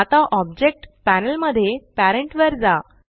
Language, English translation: Marathi, Now go back to Parent in the Object Panel